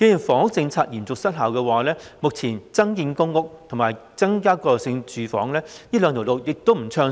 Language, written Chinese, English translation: Cantonese, 房屋政策嚴重失效，增建公屋和增加過渡性房屋這兩條路目前亦不暢順。, In parallel with the grave dysfunction of the housing policy increasing PRH production and transitional housing cannot be implemented smoothly in the meantime